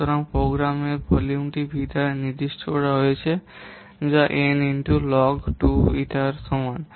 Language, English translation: Bengali, Program volume is usually specified by the term V which is equal to n into log to eta